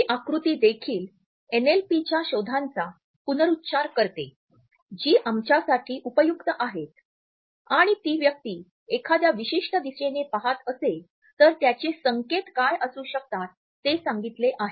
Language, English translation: Marathi, This diagram also retraites the findings of NLP which are helpful for us and we are told what may be the indications, if the person is looking at a particular direction